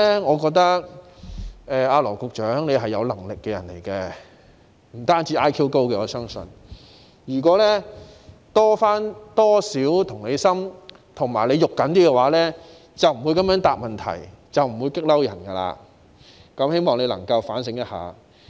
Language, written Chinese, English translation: Cantonese, 我認為羅局長是有能力的人，我相信他不止是 IQ 高，如果他能有多點同理心和着緊一點，便不會這樣回答問題，不會令人生氣，希望他能夠反省一下。, I believe he has more than just a high IQ . If he could be more empathetic and more concerned he would not have answered the question in such a way and aroused peoples anger . I hope he can do some introspection